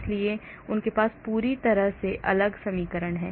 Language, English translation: Hindi, so they have completely different equation